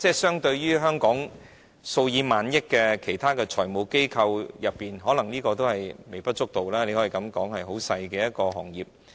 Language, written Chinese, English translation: Cantonese, 相對於香港生意額數以萬億元計的其他財務機構，這可能微不足道，你可以說它是一個很細的行業。, The volume of business may be insignificant compared to the hundreds of billion dollars of turnover of other financial institutions in Hong Kong . It may be a tiny industry